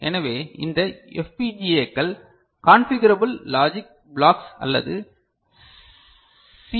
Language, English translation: Tamil, So, these FPGAs consist of Configurable Logic Blocks or CLB ok